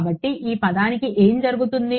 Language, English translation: Telugu, So, what happens of this term